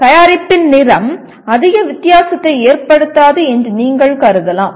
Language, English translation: Tamil, You may consider color of the product does not make much difference